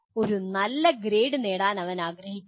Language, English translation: Malayalam, He wants to get a good grade